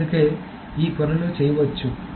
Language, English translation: Telugu, So that is why these things can be done